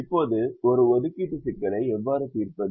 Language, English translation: Tamil, now how do we solve an assignment problem